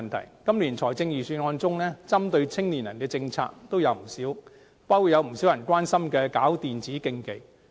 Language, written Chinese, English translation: Cantonese, 在今年的預算案中，針對青年人的政策也有不少，包括有不少人關心的舉辦電子競技。, In this Budget there are not a few initiatives relating to young people including e - sports which is the concern of many people